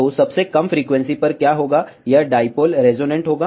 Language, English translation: Hindi, So, what will happen at the lowest frequency, this dipole will be resonant